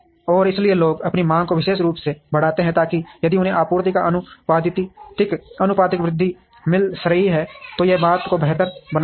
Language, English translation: Hindi, And therefore, people would increase their demand notionally, so that if they are getting a proportionate increase of supply, then it makes thing better